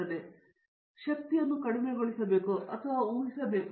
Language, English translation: Kannada, So, therefore, we have to minimize the energy and predict them